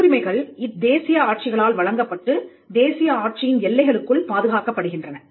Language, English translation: Tamil, Patents are granted by the national regimes and protected within the boundaries of the national regime